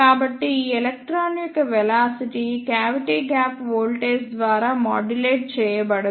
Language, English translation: Telugu, So, the velocity of this electron will not be modulated by the cavity gap voltage